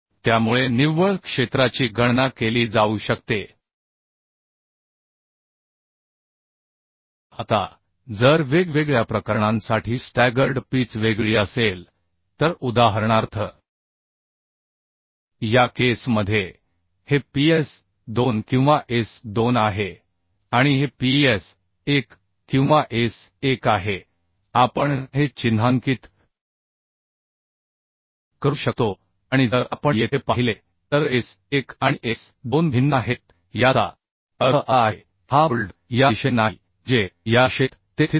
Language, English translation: Marathi, Now if the staggered pitch is different for different cases, say for example, this case So in this case this is ps2 or s2 and this is ps1 or s1, we can notice, and if we see here s1 and s2 are different, that means these bolts are not in this means, in this line, in 1 2 3 it is not situated